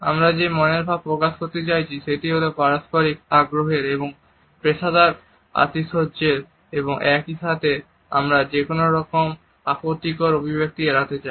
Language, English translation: Bengali, The impression which we want to pass on is that of mutual interest and a professional intensity and at the same time we want to avoid any offensive connotations